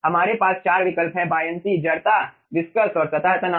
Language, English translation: Hindi, okay, we are having 4 options: buoyancy, inertia, viscous and surface tension